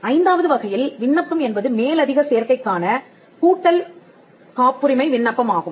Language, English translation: Tamil, The fifth type of application is an application for a patent of addition